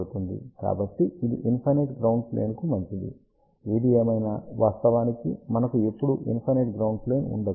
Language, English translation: Telugu, So, this is good for infinite ground plane; however, in reality we never ever have a infinite ground plane